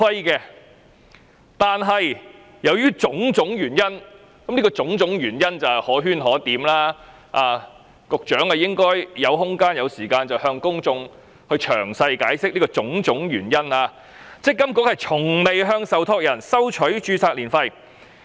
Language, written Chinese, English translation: Cantonese, 然而，由於種種原因——這種種原因可圈可點，局長若有空間和時間，應向公眾詳細解釋——積金局從未向受託人收取註冊年費。, However due to various reasons―the reasons are debatable and the Secretary should give a detailed explanation to the public if he has the room and time―MPFA has never charged trustees ARF